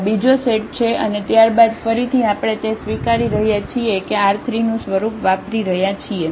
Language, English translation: Gujarati, This is another set and then again we are claiming that this form is spending set of this R 3